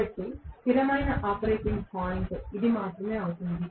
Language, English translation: Telugu, So, the stable operating point will be only this